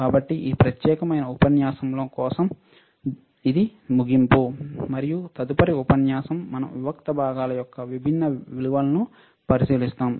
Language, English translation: Telugu, So, for this particular module, this is the end of this module, and the next module, we will look at the different values of the discrete components, all right